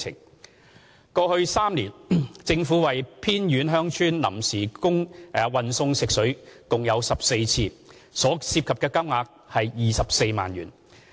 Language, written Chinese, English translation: Cantonese, 二過去3年，政府為偏遠鄉村臨時運送食水共14次，所涉及的金額約24萬元。, 2 The Government transported on an ad hoc basis potable water to remote villages for a total of 14 times and at a cost of around 240,000 in the past three years